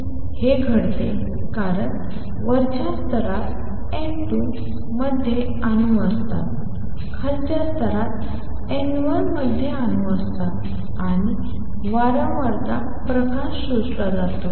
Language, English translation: Marathi, That happens because there are atoms in the upper state N 2, there are atoms in the lower state N 1, and the frequency light gets absorbed